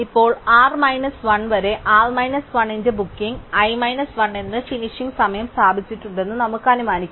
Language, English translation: Malayalam, Now, let us assume that we have establish by induction that up to r minus 1, the booking i minus, i of r minus 1 has a finish time which is earlier than booking j of r minus 1